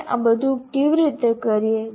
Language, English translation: Gujarati, How do we do all this